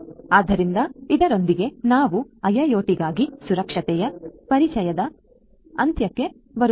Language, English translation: Kannada, So, with this we come to an end of the introduction of security for IIoT